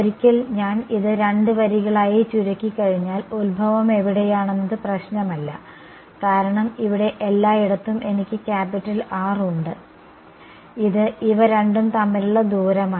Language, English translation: Malayalam, Once I boil it down to two lines it does not matter where the origin is because everywhere inside this over here I have capital R which is the distance between these two